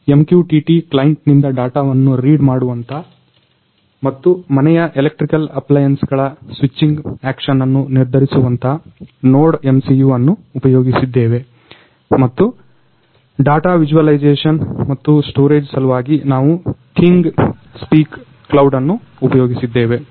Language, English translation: Kannada, So, we have used NodeMCU which reads the data from MQTT client and decides the switching action of electrical appliances of home and we have used ThingSpeak cloud for data visualization and storage